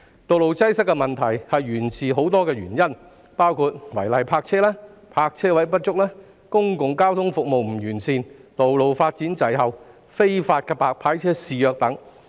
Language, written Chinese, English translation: Cantonese, 道路擠塞的問題源於多項因素，包括違例泊車、泊車位不足、公共交通服務不完善、道路發展滯後、非法"白牌車"肆虐等。, Road congestion is attributable to a number of factors including illegal parking insufficient parking spaces inadequate public transport services delay in road development and the prevalence of illegal white licence cars